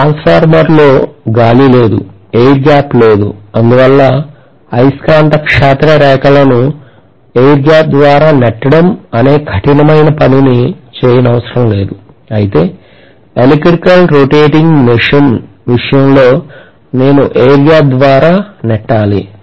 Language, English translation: Telugu, In the transformer, there is no air, there is no air gap because of which, I do not have to do this tough job of pushing the magnetic field lines through the air gap whereas in the case of an electrical rotating machine I have to push it through the air gap which means I will require more strength of the current generally